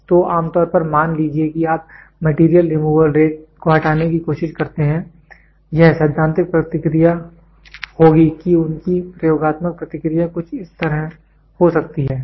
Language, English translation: Hindi, So, generally suppose you try to take away the Material Removal Rate, this will be the theoretical response their experimental response can be something like this